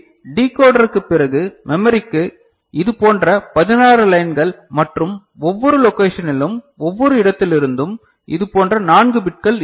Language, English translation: Tamil, So, 16 such lines to the memory after the decoder and from each location right each location, you are having four such bits right